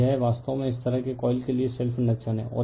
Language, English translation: Hindi, So, this is actually self inductance for this kind of coil